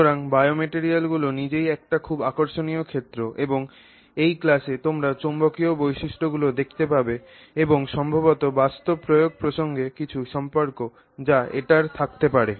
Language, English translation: Bengali, So, bio materials by itself is a very fascinating field and in this class we will look at magnetic properties and maybe some relevance that it might have with respect to bio applications